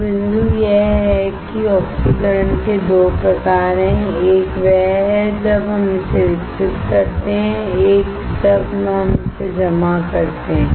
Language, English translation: Hindi, So, the point is there are 2 types of oxidation; one is when we grow it, one when we deposit it